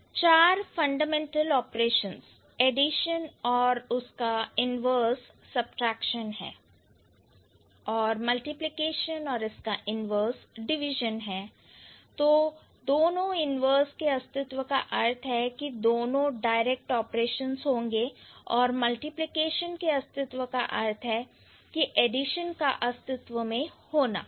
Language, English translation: Hindi, So, one of the four fundamental operations, additions and its inverse subtraction and multiplication and its inverse division, the existence of either inverse operation implies the existence of both direct operations